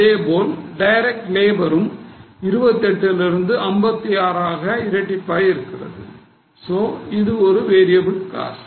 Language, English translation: Tamil, Direct labour, again same, 28, 56, so it has doubled, it's a variable cost